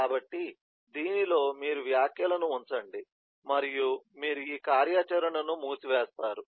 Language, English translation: Telugu, so within this you put the comments and then you close this activity